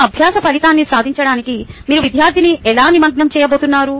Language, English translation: Telugu, how are you going to engage student to achieve that learning outcome